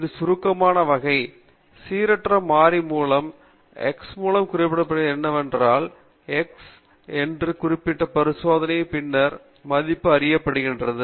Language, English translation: Tamil, It is a kind of an abstract entity; the random variable is denoted by capital X and once it is value is known after the experiment it is labeled as small x